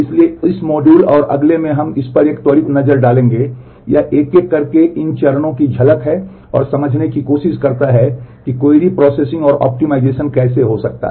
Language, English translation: Hindi, So, in this module and the next we will take a quick look into so, it is glimpses of these steps one by one and try to understand how query processing and optimization can happen